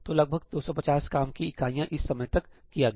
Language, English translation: Hindi, So, about 250 units of work would have been done at this point in time